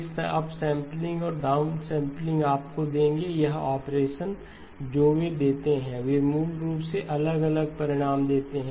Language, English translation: Hindi, Then the up sampling and the down sampling will give you, this operation they give, they basically give different results